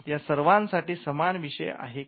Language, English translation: Marathi, Is there a common theme over it